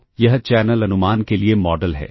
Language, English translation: Hindi, So, this is the model for channel estimation